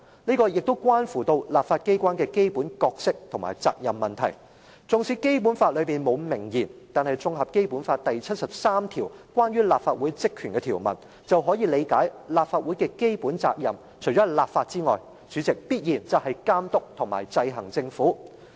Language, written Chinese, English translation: Cantonese, 這關乎立法機關的基本角色和責任問題，縱使《基本法》裏面沒有明言，但綜合《基本法》第七十三條關於立法會職權的條文，便可以理解立法會的基本責任，除了立法外，主席，必然就是監督和制衡政府。, It is a matter concerning the basic role and responsibilities of the legislature . Though it is not stated explicitly in the Basic Law we understand from Article 73 of the Basic Law which is about the powers and functions of the Legislative Council that apart from enacting legislation President the fundamental responsibility of the Legislative Council must be to oversee and exercise checks and balances on the Government